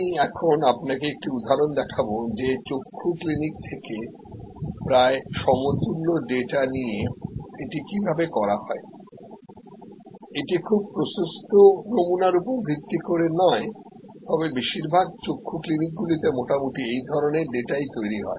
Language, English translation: Bengali, I will now show you an example that how this is done by taking almost equivalent data from an eye clinic, it is somewhat it is not based on very wide sampling, but in most eye clinics it will be same